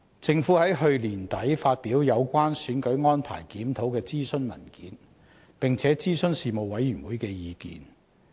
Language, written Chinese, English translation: Cantonese, 政府在去年年底發表有關"選舉安排檢討"的諮詢文件，並且諮詢事務委員會的意見。, The Government issued a consultation paper on review of electoral arrangements at the end of last year and consulted the Panel for its views